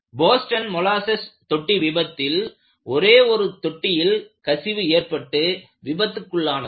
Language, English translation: Tamil, In fact,in Boston molasses tank failure, there was only one tank that failed